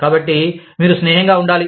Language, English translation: Telugu, So, you must be friendly